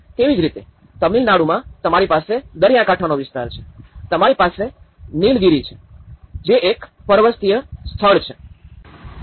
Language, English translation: Gujarati, Similarly, in Tamil Nadu you have the coastal Tamil Nadu; you have the Nilgiris, as a mountainous place